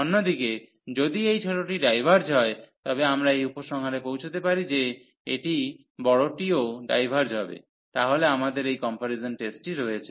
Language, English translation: Bengali, The other way around if this smaller one diverges, we can conclude that this the larger one will also diverge, so we have this comparison test